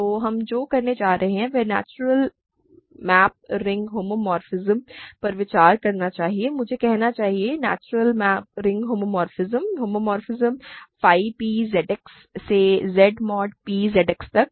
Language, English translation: Hindi, So, what we are going to do is consider the natural map ring homomorphism I should say, natural ring homomorphism, homomorphism, phi p from Z X to Z mod p Z X